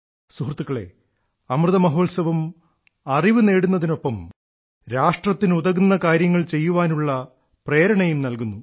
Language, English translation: Malayalam, Friends, the Amrit Mahotsav, along with learning, also inspires us to do something for the country